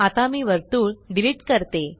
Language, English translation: Marathi, Let me delete the circle now